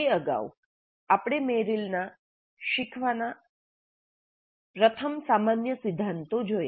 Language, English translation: Gujarati, Earlier to that, we looked at Merrill's general first principles of learning